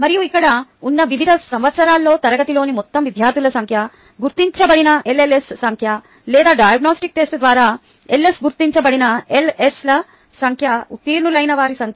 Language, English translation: Telugu, ok, and this is the data on the total number of students in class in the various years, here the number of lls who are identified or ls identified through the diagnostic test, the number of ls identified who passed